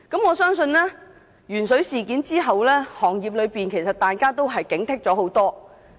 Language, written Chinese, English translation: Cantonese, 我相信，鉛水事件後，業內人士都已加強警惕。, I believe that members of the industry have already stepped up vigilance after the lead - in - water incident